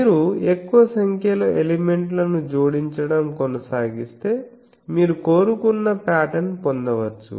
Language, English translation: Telugu, If you go on adding more number of elements, you can go up to the desired pattern